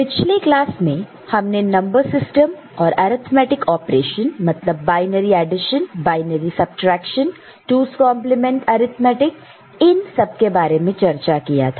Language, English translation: Hindi, In the last class we have discussed number systems and arithmetic operation: binary addition, binary subtraction, 2’s complement arithmetic